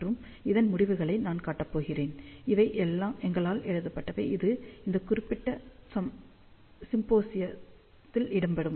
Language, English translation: Tamil, And these results, which I am going to show, these are written by us only, and it appears in this particular symposium preceding